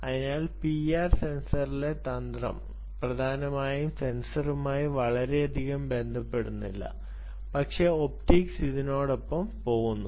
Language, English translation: Malayalam, so the trick in p i r sensor, essentially is not so much to do with the sensor but really the optics that goes with it